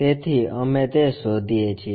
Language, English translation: Gujarati, So, we locate that